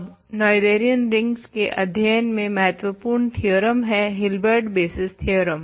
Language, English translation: Hindi, So, now the main theorem in the study of Noetherian rings is called the Hilbert basis theorem